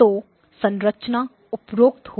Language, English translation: Hindi, So the structure will be as follows